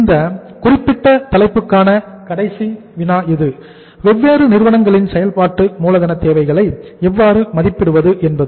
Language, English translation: Tamil, This is the last problem for this uh particular topic for us that how to assess the working capital requirements of different companies